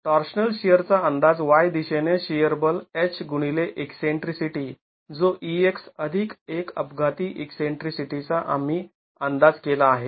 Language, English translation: Marathi, So, the estimate of the torsional shear is the shear force in the Y direction H into the eccentricity that we have estimated EX plus an accidental eccentricity